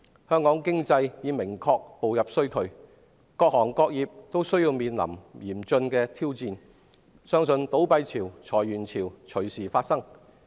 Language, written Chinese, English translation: Cantonese, 香港經濟已明確步入衰退，各行各業均面臨嚴峻挑戰，相信倒閉潮和裁員潮隨時會出現。, Hong Kongs economy has clearly entered a recession and all walks of life are facing severe challenges . It is believed that the tide of closures and layoffs will occur at any time